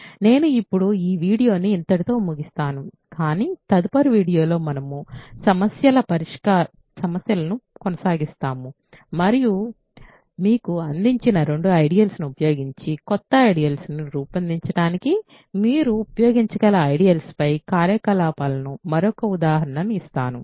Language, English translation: Telugu, I will now end this video here, but in the next video we will continue doing problems, and I will give you another example of operations on ideals that you can use to produce new ideals using two given ideals